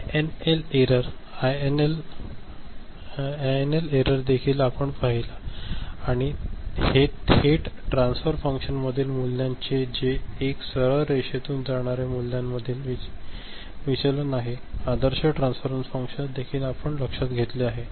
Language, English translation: Marathi, INL error, INL error also we have seen and this is the deviation of the values from the actual transfer function from a straight line ok, the ideal transfer function so that you also you have noted